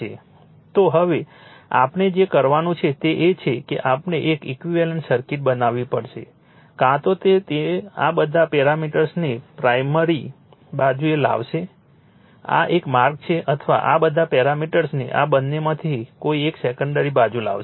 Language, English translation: Gujarati, So, now, what we have to do is we have to make an equivalent circuit either it will bring either you bring all this parameters all this parameters to the primary side this is one way or you bring all these parameters to the secondary side either of this